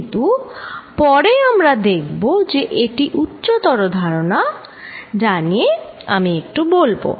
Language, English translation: Bengali, But, we will see later that this is a conceptual advance, let me just talk a bit about it